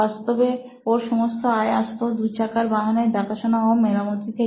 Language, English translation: Bengali, And all his revenue actually came from the servicing of two wheelers